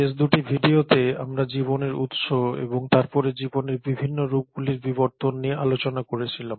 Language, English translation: Bengali, In the last 2 videos we did talk about the origin of life and then the evolution different forms of life